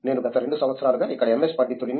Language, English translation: Telugu, I have been a MS scholar here for the past 2 years